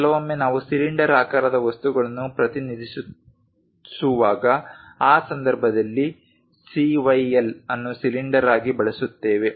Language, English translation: Kannada, Sometimes, we might be going to represent cylindrical objects in that case we use CYL as cylinders